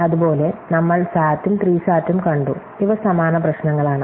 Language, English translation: Malayalam, Similarly, we have seen SAT and SAT, these are similar problems